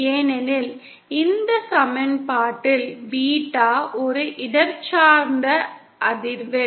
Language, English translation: Tamil, Because Beta is a spatial frequency in this equation